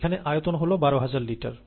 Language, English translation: Bengali, The volume here is twelve thousand litres